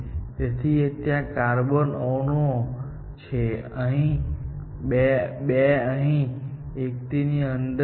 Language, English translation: Gujarati, So, 3 carbon atoms are here; 2, I buy it inside here